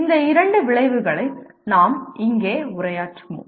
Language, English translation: Tamil, These are the two outcomes that we will address here